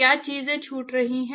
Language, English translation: Hindi, What is missing